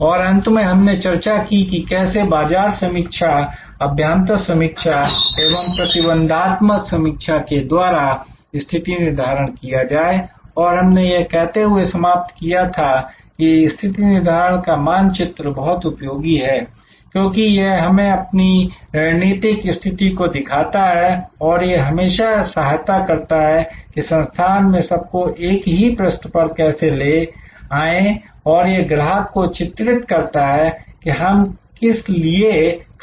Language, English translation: Hindi, And lastly we discussed, how to do the positioning by doing market analysis internal analysis and competitive analysis and we concluded by saying, that positioning map is very good, because it helps us to visualise our strategic position and it helps us to bring everybody on the same page within the organization and it helps us portray to the customer, what we stand for